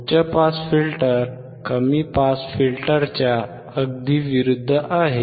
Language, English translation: Marathi, High pass filter is exact opposite of low pass filter